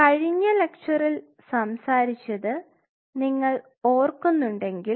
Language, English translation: Malayalam, So, if you guys recollect in the last lecture we talked about